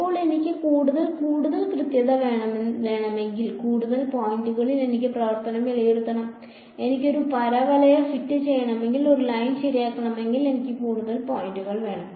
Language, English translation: Malayalam, Now, it seems that if I want more and more accuracy then I should evaluate my function at more points right; for the if I want to fit a parabola I need more points then if I want to fit a line right